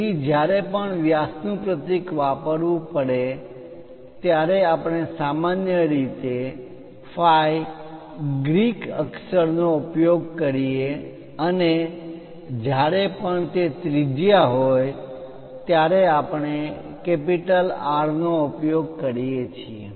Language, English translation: Gujarati, So, whenever diameter symbol has to be used usually we go with ‘phi’ Greek letter and whenever it is radius we go with capital ‘R’